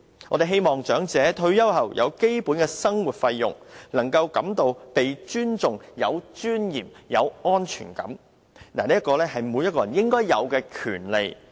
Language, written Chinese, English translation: Cantonese, 我們希望長者退休後有基本的生活費用，能夠感到被尊重、有尊嚴、有安全感，這是每個人應有的權利。, Apart from basic living expenses we want the elderly to feel respected dignified and have a sense of security in their retirement life . This is the due right of every person